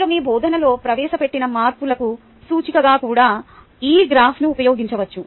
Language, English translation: Telugu, you can use this graph also as an indicator of changes that you introduce in your teaching